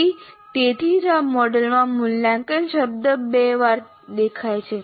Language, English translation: Gujarati, So that is why evaluate word appears twice in this model